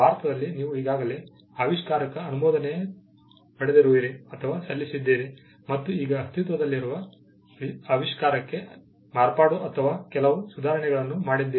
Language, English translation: Kannada, You already have an invention, granted or filed in India, and now you have made some improvements in modification to an existing invention